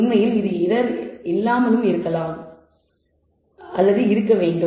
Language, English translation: Tamil, In fact, it should be probably error free